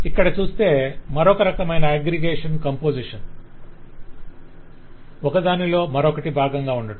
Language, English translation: Telugu, the other kind of aggregation is a composition, where one is a part of the other